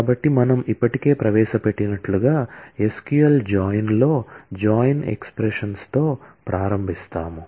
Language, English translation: Telugu, So, we start with the join expressions in SQL join as we have already introduced